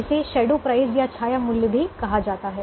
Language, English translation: Hindi, it's also called shadow price